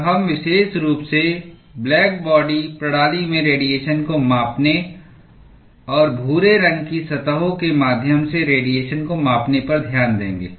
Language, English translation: Hindi, And we will specifically look at quantifying radiation in black body systems and quantifying radiation through gray surfaces